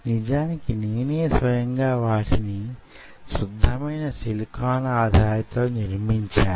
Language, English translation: Telugu, i personally have done it on pure silicon substrates